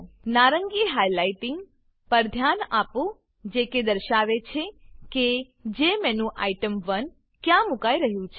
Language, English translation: Gujarati, Notice the orange highlighting that indicates where the jmenuItem1 is going to be placed